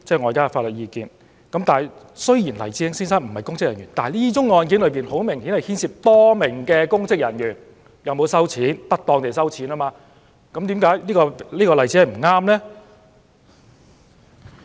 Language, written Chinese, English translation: Cantonese, 黎智英先生雖然不是公職人員，但這宗案件顯然涉及多名公職人員有否不當地收受款項，為甚麼這是個不適當的例子呢？, Although Mr Jimmy LAI is not a public servant the case obviously involves the allegation of receipt of contributions by public servants in an improper manner so why is it not an appropriate example?